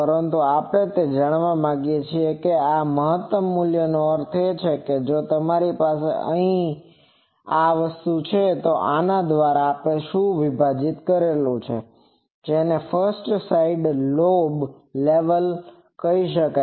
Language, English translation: Gujarati, But we want to know that this maximum value that means, if I have here, what is this divided by this; that is called 1st side lobe level